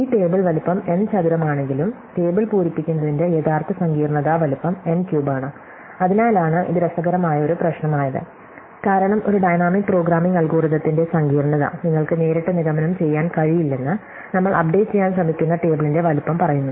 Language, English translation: Malayalam, So, though this table is of size n square, the actual complexity of filling the table is of size n cube that is why this is an interesting problem, because it says that you cannot directly conclude the complexity of a dynamic programming algorithm from the size of the table that we are trying to update